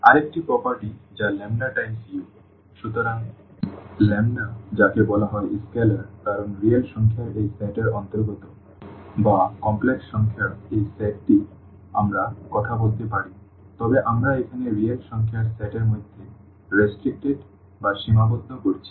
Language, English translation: Bengali, Another property that this lambda times u, so, the lambda which is called is scalar because lambda belongs to this set of real numbers or little more general this set of complex numbers we can talk about, but we are restricting to the set of real numbers here